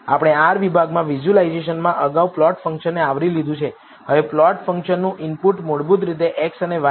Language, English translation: Gujarati, We have covered the plot function earlier in the visualization in r section, now the input to the plot function are basically x and y